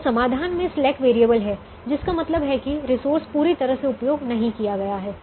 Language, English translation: Hindi, so slack variable is in the solution means the resource is fully not utilized